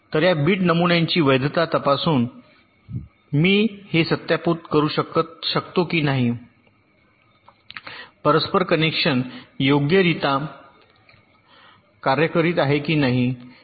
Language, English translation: Marathi, so by checking this, by checking the validity of this bit patterns, i can verify whether this interconnection is working correctly or not